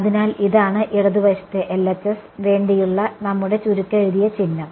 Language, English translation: Malayalam, So, this is our shorthand notation for the left hand side